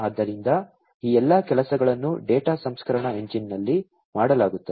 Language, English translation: Kannada, So, all of these things are going to be done at the data processing engine